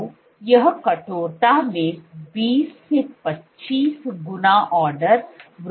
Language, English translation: Hindi, So, this is order 20 to 25 fold increase in stiffness